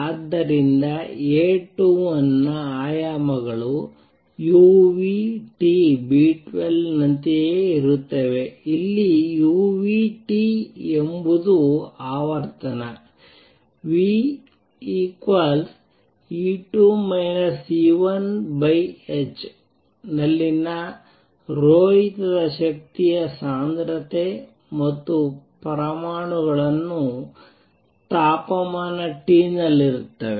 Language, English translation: Kannada, So, dimensions of A 21 are the same as u nu T B 12, where u nu T is the spectral energy density at frequency nu equals E 2 minus E 1 over h and the atoms are at temperature T